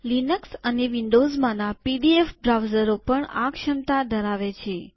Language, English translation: Gujarati, There are pdf browers in Linux and also in windows that have this capability